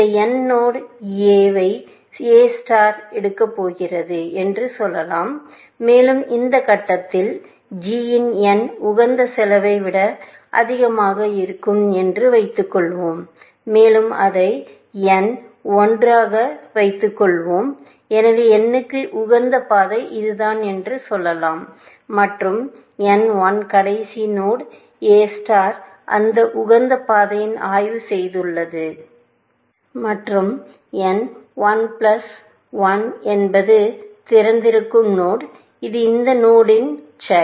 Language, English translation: Tamil, And let us say that A star is about to pick this node n, and let us assume that at point, g of n is more than the optimal cost, and let n l be the; so, this optimal path to n, let us say it is this, and n l is the last node, A star has inspected on that optimal path, and n l plus one is the node which is on open, which is child of this node